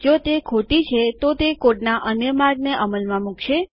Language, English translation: Gujarati, If it is False, it will execute another path of code